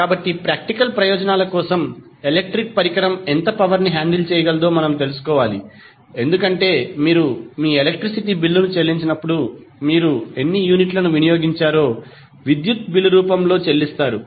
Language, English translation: Telugu, So, what we have to do for practical purpose we need to know how much power an electric device can handle, because when you pay your electricity bill you pay electricity bill in the form of how many units you have consumed